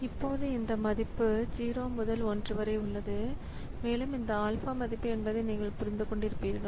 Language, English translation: Tamil, Now this value alpha that we have is between 0 and 1 and you can understand that this alpha value so if alpha is set to be equal to 0